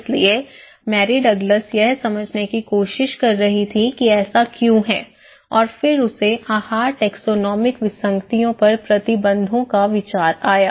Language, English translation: Hindi, So, Mary Douglas was trying to understand why this is so and then she came up with the idea, taxonomic anomalies on dietary restrictions